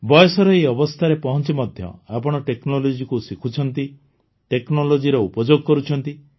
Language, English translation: Odia, Even at this stage of age, you have learned technology, you use technology